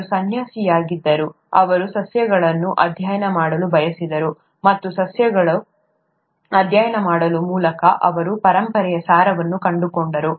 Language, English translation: Kannada, He was a monk, he wanted to study plants, and by studying plants, he came up with the essence of inheritance